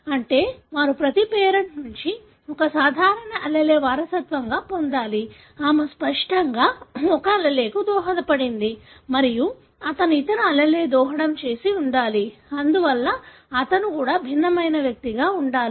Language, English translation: Telugu, That means that they should have inherited one normal allele from each of the parent; she obviously contributed one allele and he must have contributed the other allele, therefore he also should be heterozygous